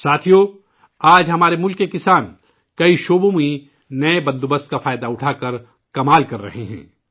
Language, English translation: Urdu, Friends, today the farmers of our country are doing wonders in many areas by taking advantage of the new arrangements